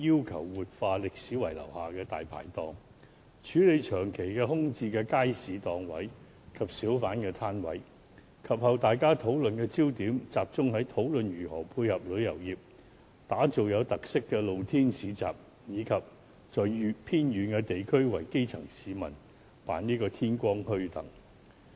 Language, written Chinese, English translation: Cantonese, 及後，大家對墟市議題的討論焦點集中於如何配合旅遊業，打造有特色的露天市集，以及在偏遠地區為基層市民辦天光墟等。, Subsequently Members discussion on the subject focused on how bazaars could complement tourism; how to create special open - air bazaars and to hold morning bazaars for grass - roots people in remote areas etc